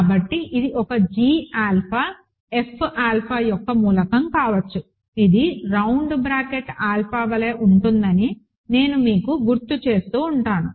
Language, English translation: Telugu, So, let it is a g alpha be an element of F alpha which I keep reminding you is same as round bracket alpha